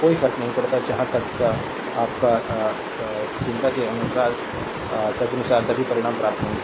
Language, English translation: Hindi, Does not matter from as far as ah your loser concern put accordingly we will get all the result